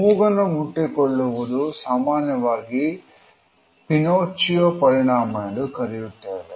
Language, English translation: Kannada, In fact, nose touch is often associated with what is commonly known as the Pinocchio effect